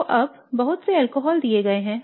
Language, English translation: Hindi, So now there are a bunch of alcohols that are given